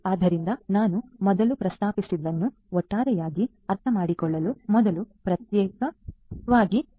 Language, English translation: Kannada, So, having said that let us first try to understand as a whole, what I have just mentioned